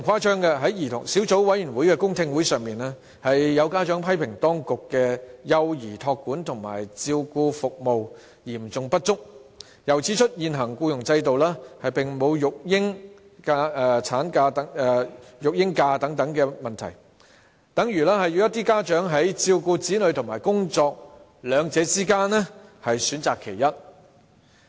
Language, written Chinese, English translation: Cantonese, 在小組委員會的公聽會上，有家長批評當局的幼兒託管和照顧服務嚴重不足，又指出現行僱傭制度並無育嬰假等問題，等同要家長在照顧子女與工作兩者之間，選擇其一。, At the public hearings of the Subcommittee some parents criticized the serious lack of child care services provided by the authorities . They also pointed out such problems as no provision of parental leave in the existing employment system which is tantamount to obliging parents to choose between looking after their children and going to work